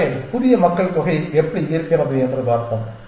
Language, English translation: Tamil, So, let us see how is the new population